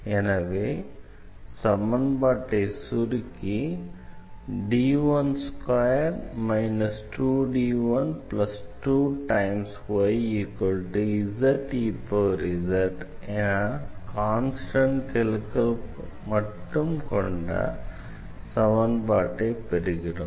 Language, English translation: Tamil, So, we will convert the whole equation to this constant coefficient equation